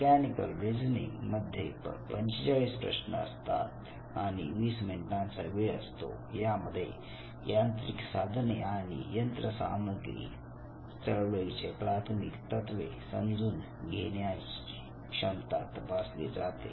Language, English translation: Marathi, Mechanical reasoning 20 minute duration 45 questions and it looks at the ability to comprehend the elementary principles of mechanical tools and machinery movement